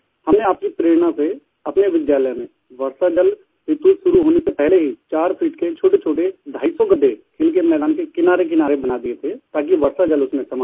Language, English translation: Hindi, "Drawing inspiration from you, in our school, before the onset of monsoon we dug 250 small trenches which were 4 feet deep, along the side of the playground, so that rainwater could be collected in these